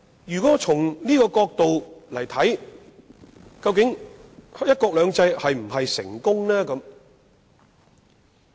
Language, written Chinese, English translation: Cantonese, 究竟從這個角度"一國兩制"是否成功？, Is one country two systems successful judging from this perspective?